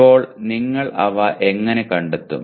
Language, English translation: Malayalam, Now, how do you locate them